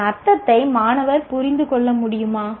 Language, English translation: Tamil, Students should be able to understand it what it means